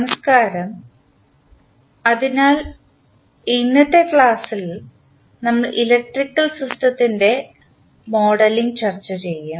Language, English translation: Malayalam, Namashkar, so, in today’s session we will discuss the modeling of electrical system